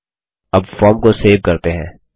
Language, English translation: Hindi, Now let us, save the form